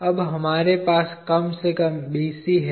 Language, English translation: Hindi, Now, we have BC at least